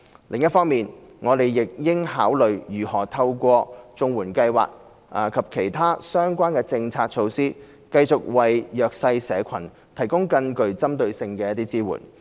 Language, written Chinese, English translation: Cantonese, 另一方面，我們亦應考慮如何透過綜援計劃及其他相關的政策措施，繼續為弱勢社群提供更具針對性的支援。, On the other hand we should also consider how we can continue to provide more targeted assistance for the disadvantaged groups through CSSA and other relevant policy measures